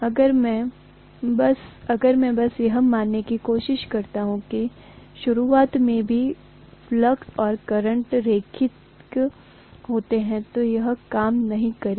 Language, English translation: Hindi, If I simply try to assume that flux and current are linear even in the beginning, that is not going to work